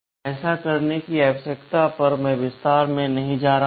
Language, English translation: Hindi, The need for doing this I am not going into detail